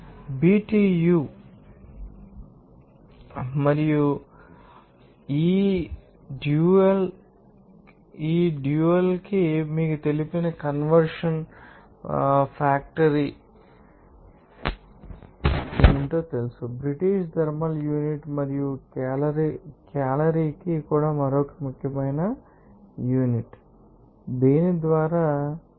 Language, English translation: Telugu, BTU and this you know that what will be the you know conversion factor for this dual to you know that British thermal unit and also to the calorie also another important unit by which you can you know access these are quantified this that is energy